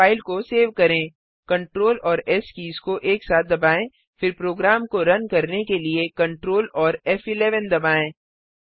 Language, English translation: Hindi, Now save this file ,press Ctrl S key simultaneously then press Ctrl F11 to run the program